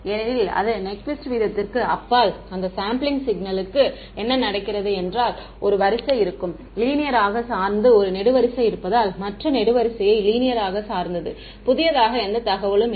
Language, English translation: Tamil, Because those yeah sampling signal beyond its Nyquist rate is what happens is that, one row will be linearly dependent one column will be linearly dependent on the other column because there is no new information